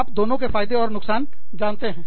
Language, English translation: Hindi, You know, both have their pros and cons